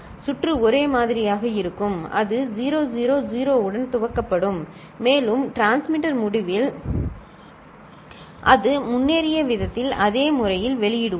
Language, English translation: Tamil, The circuit will be the same and it will be initialized with 0 0 0, and we will publish in the same manner, exactly the same manner the way it has progressed at the transmitter end